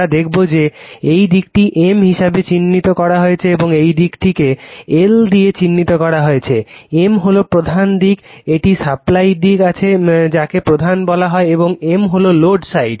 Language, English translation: Bengali, You will see that this side is marked as M and this side is marked as an L right; M is the main side there is a supply side this is called main and M is the load side